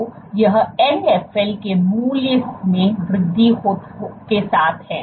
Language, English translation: Hindi, So, this is with increasing in the value of Nfl